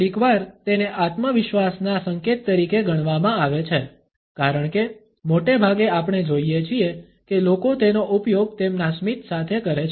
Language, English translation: Gujarati, Sometimes it can be treated as an indication of confidence, because most often we find that people use it along with their smile